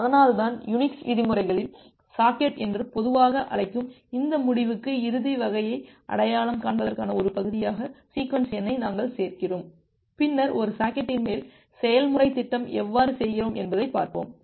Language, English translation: Tamil, And that is why we include the sequence number as a part of identifying these end to end type, which we normally call as socket in the terms of Unix, later on will look how we do the programming on top of a socket